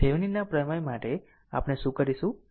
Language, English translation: Gujarati, So, for Thevenin’s theorem, what we will do